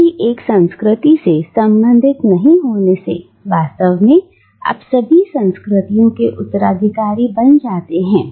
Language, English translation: Hindi, By not belonging to any one culture you actually become an heir to all cultures